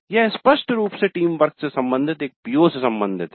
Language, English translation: Hindi, This is evidently related to a PO concerned with teamwork